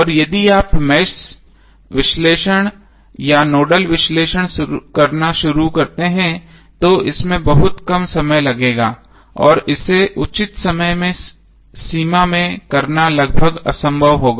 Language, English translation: Hindi, And if you start doing the mesh analysis or nodal analysis it will take a lot of time and it will be almost impossible to do it in a reasonable time frame